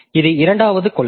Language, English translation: Tamil, So, this is the second policy